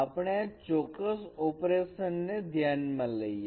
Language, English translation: Gujarati, Let us consider this particular operation